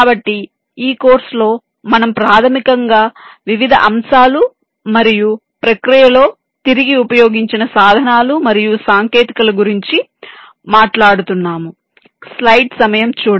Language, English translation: Telugu, so during this course we shall basically be talking about the various aspects and the tools and technologies that reused in the process